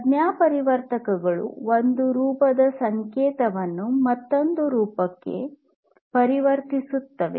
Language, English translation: Kannada, So, transducer basically is something that converts the signal in one form into a signal in another form